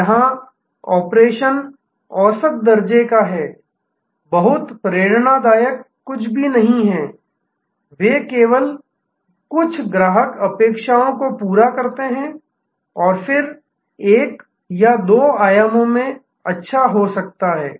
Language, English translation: Hindi, Here, the operation is mediocre, there is nothing very inspiring, they meet some customer expectation and then, may be good in one or two dimensions